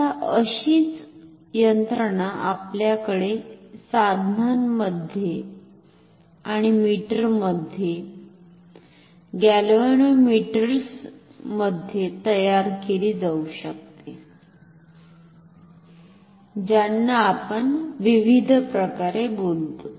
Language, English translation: Marathi, Now, the similar mechanism can be created in our instruments and meters, galvanometers whatever you call in different manners